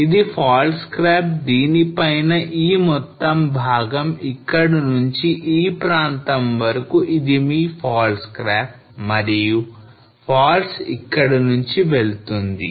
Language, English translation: Telugu, So this is a fault scrap on which this whole portion from here to this place is your fault scarp and faults runs somewhere over here